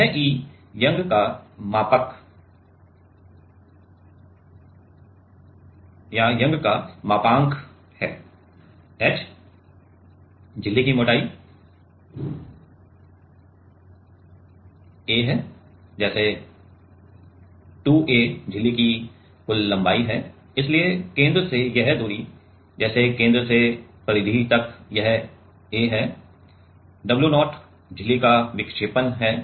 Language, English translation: Hindi, This E is Young’s modulus, h is the thickness of the membrane, a is the; like 2a is the total length of the membrane, right and so, a is the center like this distance from the center, like from the center to the periphery it is a, w 0 is the deflection of the membrane, right